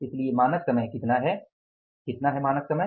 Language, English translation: Hindi, So, what is the standard time